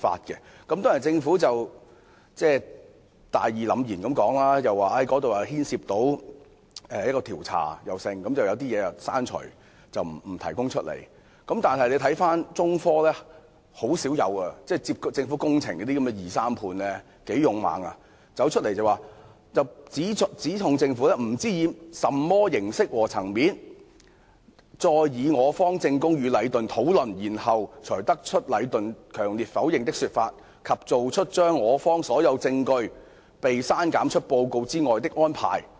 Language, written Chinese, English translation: Cantonese, 雖然政府大義凜然地表示因為牽涉某些調查，所以該報告要刪除某些內容，不能向外披露，但中科十分勇敢——承辦政府工程的二三判很少會這樣做——出面指控政府："不知以甚麼形式和層面再以我方證供與禮頓討論，然後才得出禮頓強烈否認的說法及做出將我方所有證供被刪減出報告之外的安排。, Although the Government said righteously that certain contents of the report had to be deleted and could not be disclosed as some investigations were underway China Technology had the courage―subcontractors or sub - subcontractors of government works seldom do so―to come forward and speak out against the Government saying we are not sure how and at what levels MTRCL discussed our evidence with Leighton to come up with the conclusion that Leighton strenuously denied the allegations and hence deleted all our evidence from the report